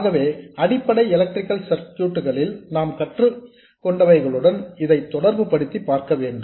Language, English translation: Tamil, So you should be able to relate this to what you learned in basic electrical circuits